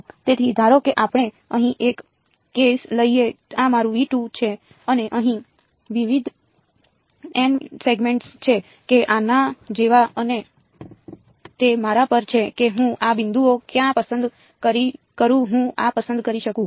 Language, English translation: Gujarati, So, supposing let us take one case over here this is my V 2 and there are various n segments over here or like this and it is up to me where I choose this points can I choose these